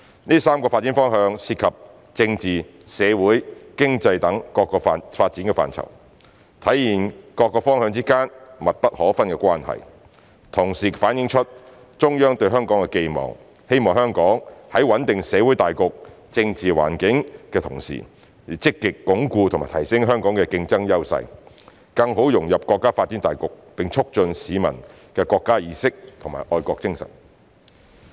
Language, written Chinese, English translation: Cantonese, 這3個發展方向涉及政治、社會、經濟等各個發展範疇，體現各方向之間密不可分的關係，同時反映出中央對香港的寄望：希望香港在穩定社會大局、政治環境的同時，要積極鞏固及提升香港的競爭優勢，更好融入國家發展大局，並促進市民的國家意識和愛國精神。, These three directions concern our political social and economic development which demonstrates the inextricable links amongst various directions and at the same time reflects the Central Authorities expectation of Hong Kong We should stabilize the general social and political environment while proactively consolidating and enhancing our competitive edges with a view to better integrating into the countrys overall development and promoting national awareness and patriotism amongst members of the public